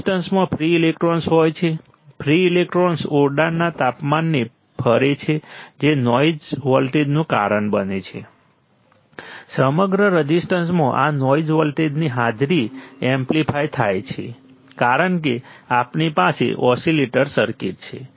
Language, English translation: Gujarati, Resistance has free electrons, free electrons move at the room temperature that causes a noise voltage, this noise voltage presence across the resistance are amplified, because we have oscillator circuit